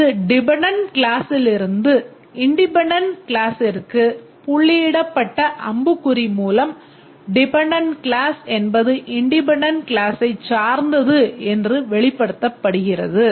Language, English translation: Tamil, Represented using a dotted arrow from the dependent class to the independent class indicating that the dependent class is dependent on the independent class